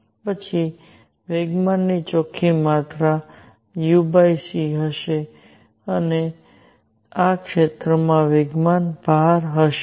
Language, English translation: Gujarati, Then net amount of momentum would be u over c is the momentum content in this area